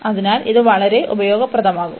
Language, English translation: Malayalam, So, this is going to be very useful